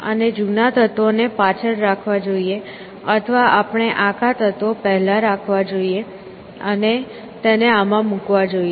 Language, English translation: Gujarati, And keep the old elements behind or should we keep the whole elements first, and put this in the